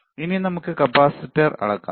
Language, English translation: Malayalam, Now, let us measure the capacitor